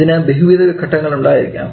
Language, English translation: Malayalam, That may have multiple phases